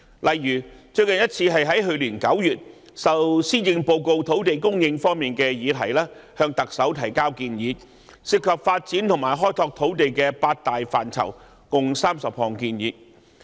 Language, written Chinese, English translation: Cantonese, 例如，最近一次是在去年9月，我們就施政報告土地供應方面的議題，向特首提交涉及發展和開拓土地的八大範疇共30項建議。, We have made suggestions to the SAR Government for many times . The most recent example is our submission to the Chief Executive in September last year consisting of 30 recommendations in eight major domains involving development and exploration of land in respect of the subject of land supply mentioned in the Policy Address